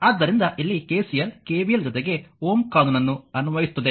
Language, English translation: Kannada, So, KCL here KVL will apply ohms' law along with KVL